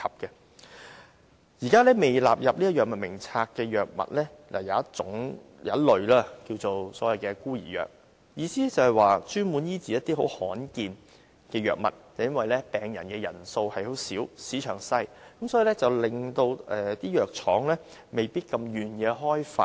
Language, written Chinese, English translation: Cantonese, 現時在未納入《藥物名冊》的藥物中，有一類俗稱為"孤兒藥"，所指的是專門醫治一些罕見疾病的藥物，而由於病人人數少、市場小，以致藥廠未必願意開發。, Orphan drugs which are currently not covered by the Drug Formulary refer to drugs specifically used for treating some rare diseases . Owing to the small number of such patients and the small size of the market pharmaceutical firms might be reluctant to develop such drugs . Meanwhile due to a lack of competition orphan drugs are often sold at exorbitant prices